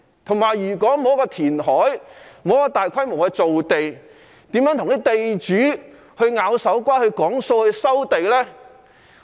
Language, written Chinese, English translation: Cantonese, 再者，如果不進行填海，沒有大規模造地，如何跟地主"拗手瓜"協商收地呢？, Moreover if reclamation is not carried out there will not be large - scale land creation . In that case how can the authorities wrestle with landlords in land resumption negotiations?